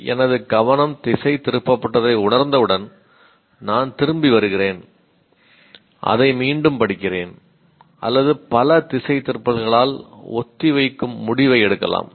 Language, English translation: Tamil, So, once I realize my attention has drifted, I come back and either I reread it or postpone because if there are too many diversions, I may take a decision